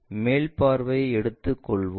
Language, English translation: Tamil, Let us take the top view